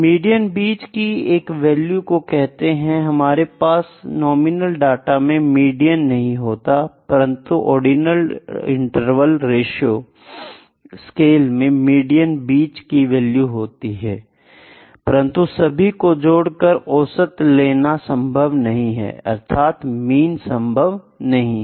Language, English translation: Hindi, Median, median is the middle value, we cannot have median in the nominal data, but in ordinal, interval and ratio scales we can have the median middle value alike in order also we can have the middle value, but we cannot sum the order up and take an average that is not possible, mean is not possible